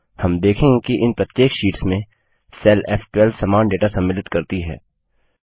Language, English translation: Hindi, We see that in each of these sheets, the cell referenced as F12 contains the same data